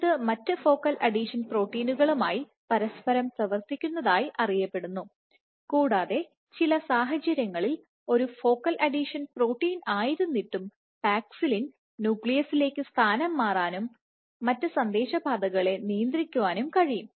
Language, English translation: Malayalam, It is known to interact with other focal adhesions proteins and interestingly under certain conditions paxillin in spite of being a focal adhesion protein, it can translocate to the nucleus and regulate other signaling pathways